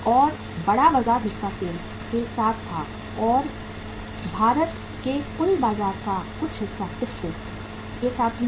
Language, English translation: Hindi, And larger market share was with the SAIL and some part of the total India’s market was with the TISCO also